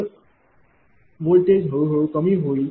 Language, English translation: Marathi, So, voltage will gradually decrease